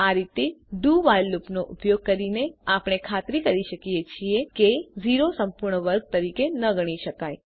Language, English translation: Gujarati, This way, by using a do while loop, we make sure that 0 is not considered as a perfect square